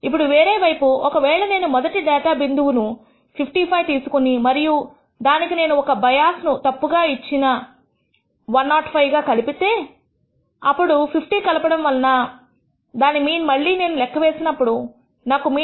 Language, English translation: Telugu, Now on the other hand if I take the rst data point 55 and add a bias wrongly enter it as 105 let us say by adding 50 to ta and then recompute this mean, I will find that the mean becomes 71